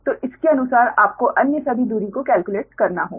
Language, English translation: Hindi, so accordingly you have to calculate all other distances